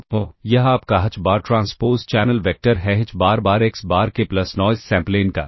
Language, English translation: Hindi, So, this is your h bar transpose channel vector is h bar times x bar k